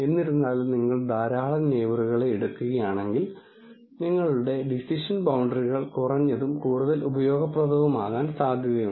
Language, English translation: Malayalam, However, if you take large number of neighbors, then your decision boundaries are likely to become less crisp and more di use